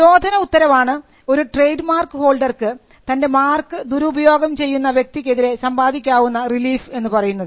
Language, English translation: Malayalam, So, injunction was the relief a trademark holder could get against a person who was unauthorizedly using the mark